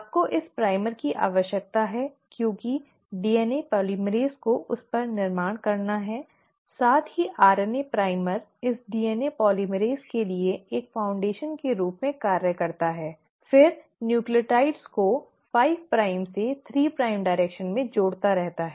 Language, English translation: Hindi, You need this primer because DNA polymerase has to then build upon it, also RNA primer kind of acts as a foundation for this DNA polymerase to then keep on adding the nucleotides in a 5 prime to 3 prime direction